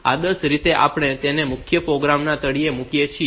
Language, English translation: Gujarati, So, so ideally, we put it at the bottom of the main program